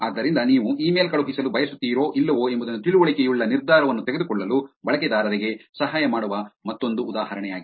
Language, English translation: Kannada, So this is just an another example of helping users to make informed decision, whether you want to send the email or not